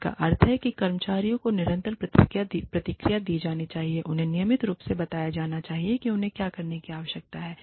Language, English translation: Hindi, Which means, that the employees, should be given, continuous feedback, should be routinely told, what they need to do